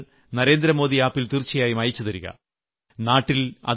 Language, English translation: Malayalam, Do send a picture of it on 'Narendra Modi app